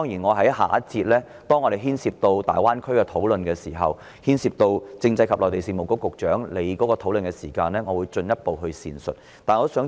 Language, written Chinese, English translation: Cantonese, 我在下一節有關大灣區的討論當中，在談及政制及內地事務局局長的範疇時，會進一步闡述這個核心課題。, I will elaborate on this core subject matter in the discussion on the Greater Bay Area when I talk about the portfolio of the Secretary for Constitutional and Mainland Affairs